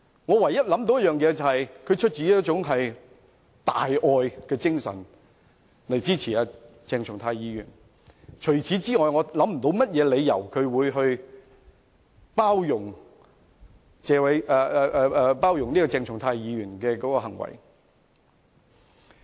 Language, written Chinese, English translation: Cantonese, 我唯一想到的原因是他出於大愛的精神而支持鄭松泰議員，除此之外，我想不到任何理由為何他要包容鄭松泰議員的行為。, The only reason I can think of is that he supports Dr CHENG Chung - tai out of the spirit of great love . Other than that I cannot think of any reason for his condoning the acts of Dr CHENG Chung - tai